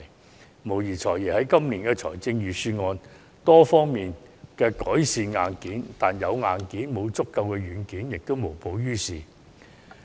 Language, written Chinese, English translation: Cantonese, "財爺"無疑在今年的預算案中改善了多方面的硬件問題，但光有硬件而沒有足夠軟件，也是無補於事的。, While the Financial Secretary has undoubtedly put forward improvements in this years Budget for a number of hardware issues hardware alone will not be of much help unless adequate software is provided